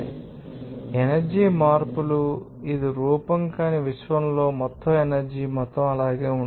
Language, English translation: Telugu, So, energy, you know, changes, it is form but the total amount of energy in the universe remains the same